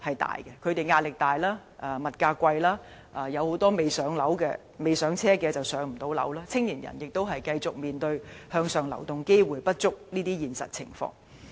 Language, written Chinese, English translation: Cantonese, 他們壓力大，而物價貴，加上有很多人未能置業，而青年人亦要繼續面對向上流動機會不足這個事實。, They have to deal with enormous pressure and an exorbitant price level while many of them have yet to purchase a property . Furthermore young people still have to deal with a lack of upward social mobility